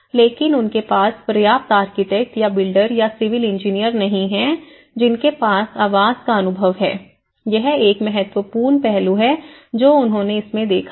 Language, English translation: Hindi, But they do not have enough architects or builders or the civil engineers who has an experience in housing, this is one important aspect which they have looked into it